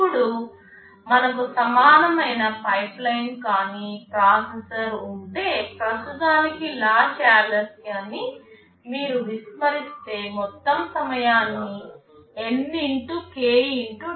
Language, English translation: Telugu, Now, if we have an equivalent non pipelined processor, if you ignore the latch delays for the time being, then the total time can be estimated as N x k x tau